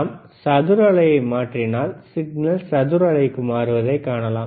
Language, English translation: Tamil, If we change the square wave we can see change in signal to square wave